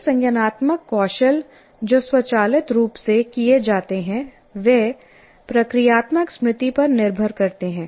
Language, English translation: Hindi, Like many cognitive skills that are performed automatically rely on procedural memory